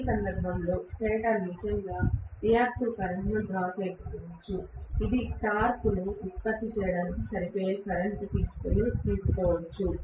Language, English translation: Telugu, In which case the stator may not really draw any reactive current at all, it may just draw the current which is sufficient enough to produce the torque that is it, nothing more than that